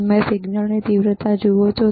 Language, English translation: Gujarati, You see intensity of the signal focus